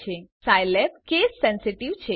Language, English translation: Gujarati, Recall that Scilab is case sensitive